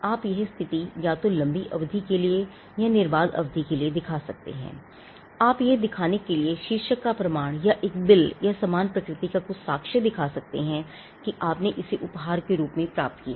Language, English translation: Hindi, You could either show position for a long period, uninterrupted period of time, or you could bring evidence of title to show that a bill or a received or something of a similar nature to show that or the fact that you received it as a gift from someone else